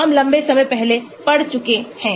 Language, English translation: Hindi, we have read that long time back